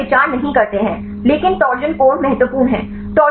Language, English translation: Hindi, So, they do not consider these, but torsion angles are important right